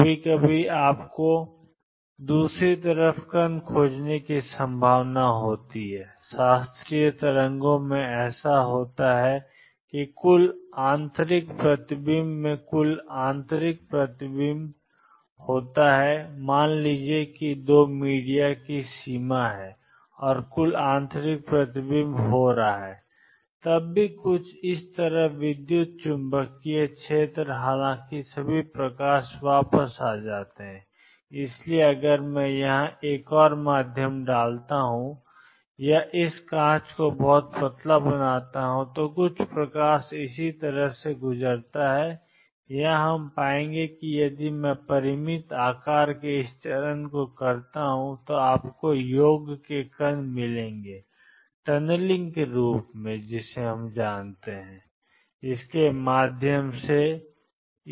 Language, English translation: Hindi, Sometimes you would have a probability of finding the particle on the other side, this is what happens in classical waves in total internal reflection in total internal reflection suppose there is a boundary of 2 media and total internal reflection is taking place even then there is some electromagnetic field on this side although all the light is going back and therefore, if I put another medium here or make this glass very thin some light goes through similarly here we will find if I make this step of finite size you will find the sum particles go through what is known as tunneling